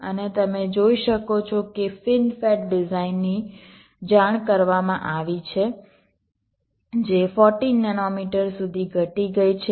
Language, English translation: Gujarati, and as you can see, fin fet has design such been reported which has gone down up to fourteen nanometer